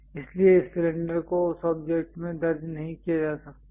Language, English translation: Hindi, So, this cylinder cannot be entered into that object